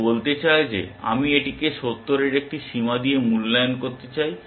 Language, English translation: Bengali, It amounts to say that I want to evaluate this with a bound of 70 essentially